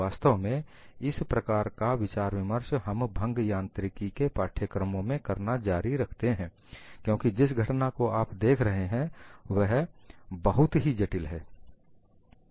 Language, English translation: Hindi, In fact, this kind of a discussion, we continue to do this in a course in fracture mechanics, because the phenomena what you are looking at is very complex